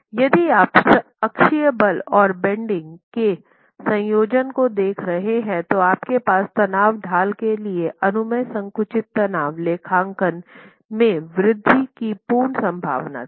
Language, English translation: Hindi, In case you are looking at a combination of axial force and bending, then you have you had the earlier possibility of an increase in the permissible compressive stress accounting for the strain gradient